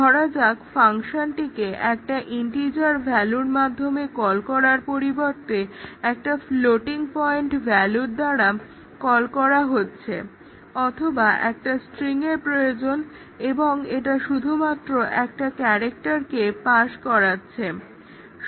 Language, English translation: Bengali, Suppose to call the function with an integer value, but it is calling with a floating point value or a string was required and it just passes a character and so on